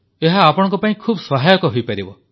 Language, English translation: Odia, It can be a great help to you